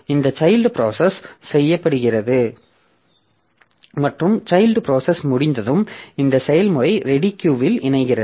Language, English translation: Tamil, So, this child executes and so after the child finishes, so this process joins onto the ready queue